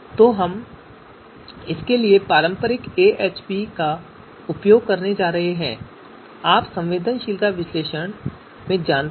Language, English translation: Hindi, So we are going to use AHP the traditional AHP for this you know sensitivity analysis